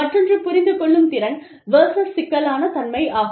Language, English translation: Tamil, The other is, comprehensibility versus complexity